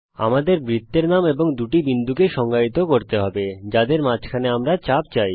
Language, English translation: Bengali, We will have to define the name of the circle and the two points between which we want the arc